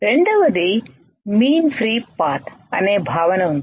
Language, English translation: Telugu, Second is there is a concept called mean free path